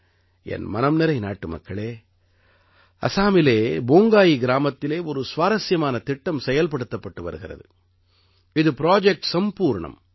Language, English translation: Tamil, My dear countrymen, an interesting project is being run in Bongai village of Assam Project Sampoorna